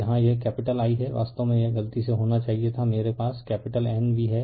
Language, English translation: Hindi, Here it is capital i1 actually it it should have been by mistake I have a capital N v upon